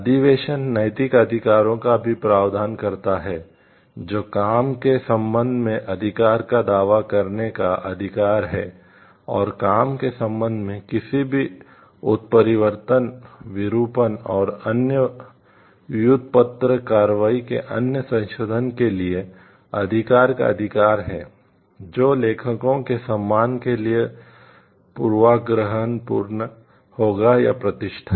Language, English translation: Hindi, The convention also provides for the moral rights, that is the right to claim authorship of the work and the right to object to any mutilation deformation and other modification of other derivative action in relation to the work, that would be prejudicial to the authors honour or reputation